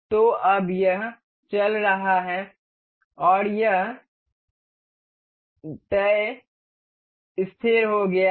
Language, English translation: Hindi, So, now, this is moving and this is fixed